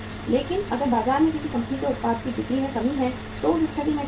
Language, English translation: Hindi, But if there is a say lack of sales for any company’s product in the market in that case what will happen